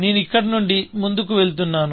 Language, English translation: Telugu, I am moving forward from here